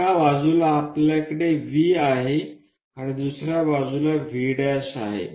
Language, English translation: Marathi, Let us mark this point as V this is the point V